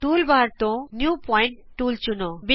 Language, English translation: Punjabi, Select the New Point tool, from the toolbar